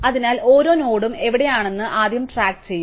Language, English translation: Malayalam, So, we will keep track first of all of where each node is